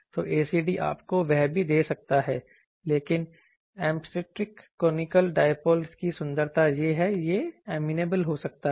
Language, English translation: Hindi, So, ACD also can give you that, but the beauty of asymptotic conical dipole is that it can be amenable